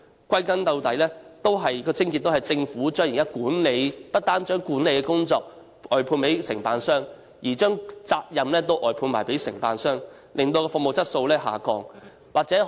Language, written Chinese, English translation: Cantonese, 歸根究底，問題的癥結在於政府不但將管理的工作外判給承辦商，連責任也一併外判給承辦商，導致服務質素下降。, In the final analysis the crux of the problem lies in the Government outsourcing to contractors not only the management services but also its responsibilities altogether resulting in the deterioration of service quality